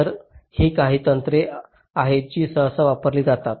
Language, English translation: Marathi, ok, so these are some of the techniques which are usually used